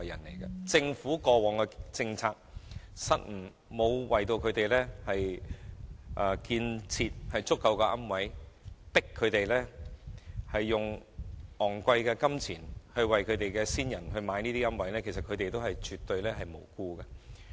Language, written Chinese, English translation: Cantonese, 由於政府過往的政策失誤，沒有興建足夠的龕位，致使他們須支付大量金錢為先人購置龕位，所以他們絕對是無辜的。, Owing to the Governments policy blunders in the past there is a shortage of niches and consumers are forced to pay huge amount of money to buy niches to inter the ashes of their ancestors . Hence they are absolutely innocent